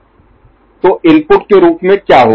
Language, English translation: Hindi, So, what will be coming as input